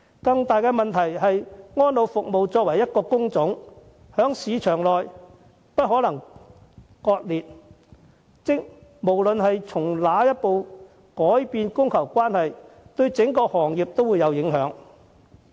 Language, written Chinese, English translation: Cantonese, 更大的問題是，安老服務這個行業包含不同工種，在市場內不可分割，無論哪個工種輸入外勞，供求關係都會有所改變，對整個行業也會產生影響。, However we have a bigger problem as the elderly care industry includes different types of work which are inseparable parts of the labour market . Importation of labour for whichever type of work will change the supply and demand situation of that particular labour segment and the whole industry will also be affected